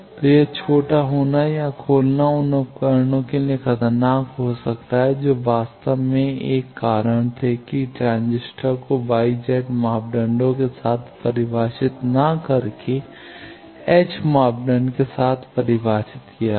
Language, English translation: Hindi, So, that is shorting or opening may become dangerous for the devices at actually that was 1 of the reasons why transistor was defined not with Y Z parameter with hybrid parameters